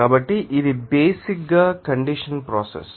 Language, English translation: Telugu, So, this is basically you know condensation process